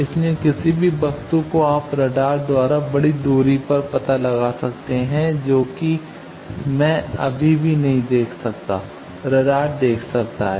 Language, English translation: Hindi, So, any object you can detect by radar at a large distance which I cannot see still radar can see